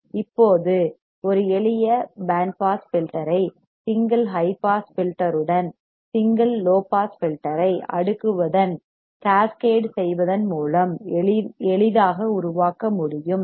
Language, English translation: Tamil, Now, a simple band pass filter can be easily made by cascading single low pass filter with a single high pass filter